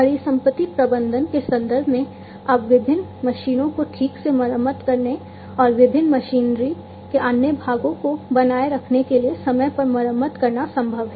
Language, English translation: Hindi, In terms of asset management, now it is possible to timely repair the different machines to properly maintain the engines and other parts of the different machinery